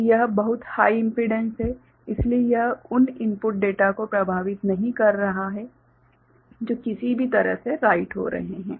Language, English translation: Hindi, So, this is very high impedance so, it is not affecting the input data that is getting written in anyway ok